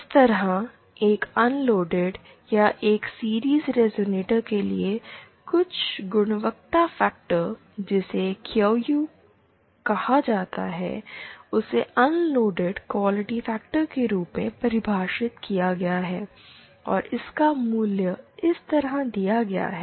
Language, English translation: Hindi, For an unloaded or for a series resonator like this, some quality factors something called a QU is defined as the unloaded quality factor and its value is given like this